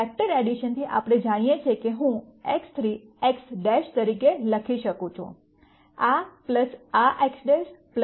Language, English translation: Gujarati, From vector addition we know that I can write X 3 as X prime, this plus this X prime plus Y prime